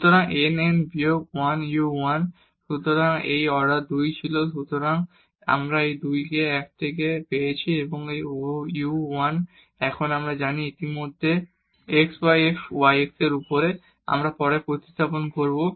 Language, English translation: Bengali, So, n n minus 1 u 1 so this order was 2; so, we get 2 into 1 into u 1 and this u 1 now we know already is x y f y over x, we will substitute later